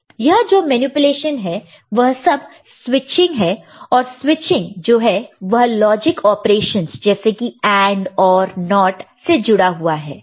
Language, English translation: Hindi, And this manipulation is all switching, and the switching is associated with logic operations like AND, OR, NOT